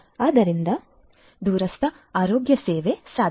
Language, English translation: Kannada, So, remote healthcare is possible